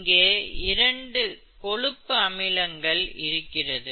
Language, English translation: Tamil, Therefore this is saturated fatty acid